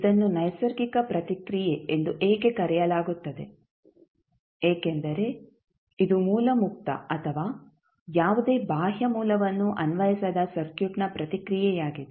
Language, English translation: Kannada, Why is it called as natural response; because it is a source free or source less response of the circuit where no any external source was applied